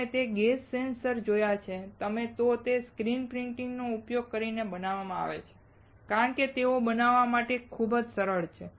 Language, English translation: Gujarati, If you have seen gas sensors, they are made using screen printing because, they are very easy to fabricate